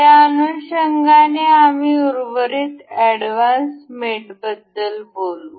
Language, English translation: Marathi, In line with that, we will talk about rest of the advanced mate